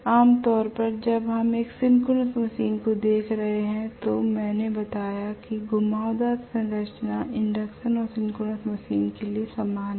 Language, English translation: Hindi, Normally when we are looking at a synchronous machine I told you that the winding structures are extremely similar for induction and synchronous machine right